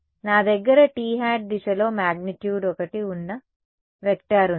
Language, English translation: Telugu, So, I have a vector of magnitude one along the t hat direction